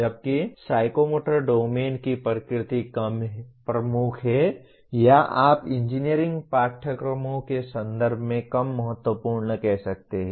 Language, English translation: Hindi, Whereas the nature of psychomotor domain is less dominant or you can say less important in the context of engineering courses